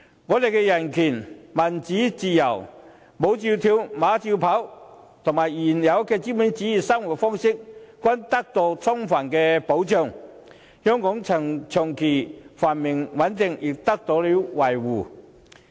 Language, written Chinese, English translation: Cantonese, 我們的人權、民主和自由，"舞照跳，馬照跑"，以及原有的資本主義生活方式均得到充分保障，香港的長期繁榮穩定亦得到了維護。, Our human rights democracy and freedom horse racing and dancing as well as the previous capitalist system and way of life in Hong Kong have been fully protected . Hong Kongs long - term prosperity and stability has also been safeguarded